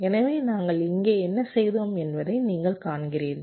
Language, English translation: Tamil, so you see what we have done here